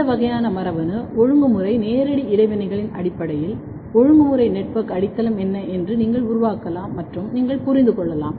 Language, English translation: Tamil, And, then you can based on this kind of genetic regulatory physical interaction, you can build and you can understand what is the regulatory network foundation